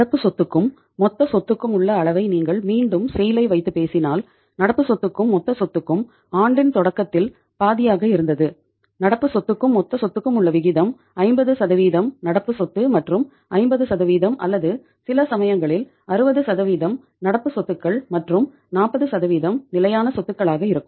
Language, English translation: Tamil, If you talk about the again in the SAIL uh the level of the current asset to the total assets, so current assets to the total assets are say sometime in the beginning year it was half of the say you can call it as the ratio of the current asset to total asset means 50% assets are current assets and 50% even some cases the 60% the level is 60% uh as compared to the total asset 60% are the current assets and 40% are the fixed assets